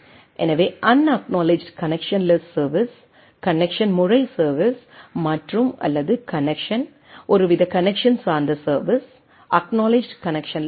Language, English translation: Tamil, So, unacknowledged connection less service, connection mode service and or connection some sort of a connection oriented service, acknowledged connectionless service